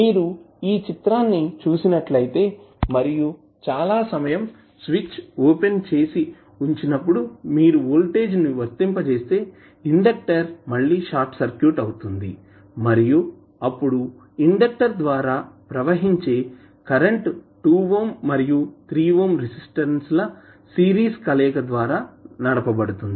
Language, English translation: Telugu, If you see this figure and if you apply voltage this for very long duration with switch is open the inductor will again be short circuited and then the current flowing through the inductor will be driven by the series combination of 2 ohm and 3 ohm resistances